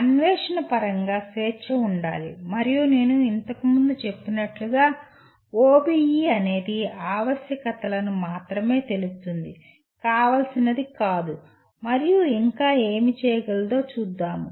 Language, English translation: Telugu, There should be freedom in terms of exploration and so on but as I mentioned earlier this is the OBE only states what is essential, not what is desirable and what more can be done